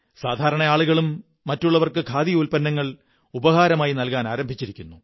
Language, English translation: Malayalam, Even people have started exchanging Khadi items as gifts